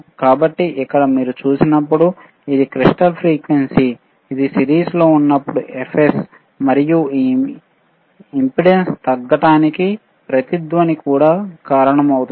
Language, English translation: Telugu, So, here when you see, this is a crystal frequency, when it is in series like ffs, and also this is resonance will cause the impedance to decrease